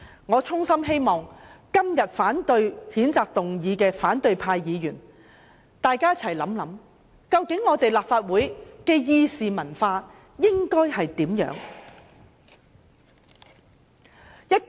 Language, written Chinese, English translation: Cantonese, 我衷心希望今天反對譴責議案的反對派議員想一想，究竟立法會的議事文化應該是怎樣的呢？, I sincerely hope Members of the opposition camp who oppose the censure motion today will give thoughts to how the parliamentary culture in the Legislative Council should be